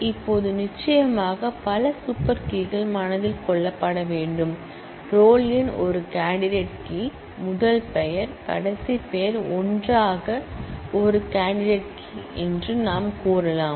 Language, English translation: Tamil, Now, there are of course, that could be several other super keys that has to be kept in mind, the candidate keys are roll number is a candidate key, the first name last name together, we can say is a candidate key